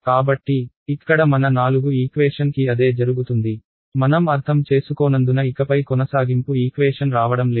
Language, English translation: Telugu, So, that is what happens to my four equations over here, I am not writing the continuity equation anymore because its understood